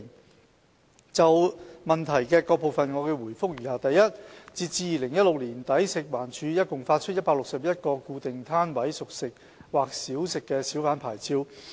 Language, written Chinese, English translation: Cantonese, 我現就質詢的各部分回覆如下：一截至2016年年底，食環署共發出161個固定攤位小販牌照。, My reply to the various parts of the question is as follows . 1 As at the end of 2016 a total of 161 Fixed - Pitch Hawker Licences were issued by FEHD